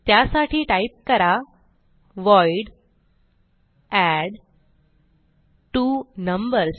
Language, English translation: Marathi, So type void addTwoNumbers